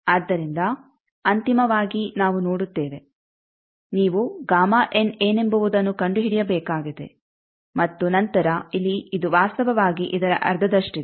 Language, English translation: Kannada, So, finally, we see that you will have to find out, what is the gamma ends and then here this is actually half of this